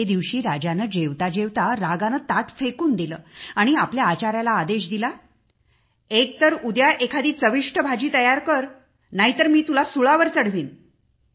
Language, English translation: Marathi, One such day, the king while eating, threw away the plate in anger and ordered the cook to make some tasty vegetable the day after or else he would hang him